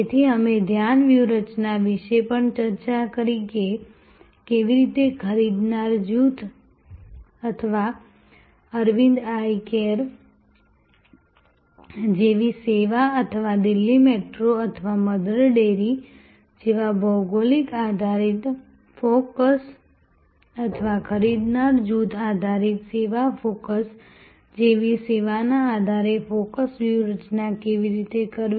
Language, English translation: Gujarati, So, we discussed about the focus strategy also how the focus strategy be done on the basis of the buyer group or service offered like Arvind Eye Care or geographic based focus like Delhi Metro or Mother Dairy or a buyer group based service focus like say service for creating residential blocks and services for Jal Vayu Sena